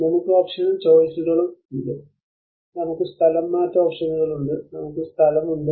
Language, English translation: Malayalam, We have the option and choices; we have the relocation options, we have the in situ